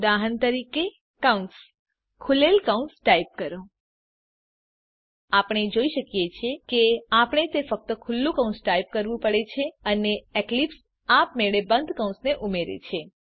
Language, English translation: Gujarati, For example parentheses, type open parentheses We can see that we only have to type the open parenthesis and eclipse automatically adds the closing parenthesis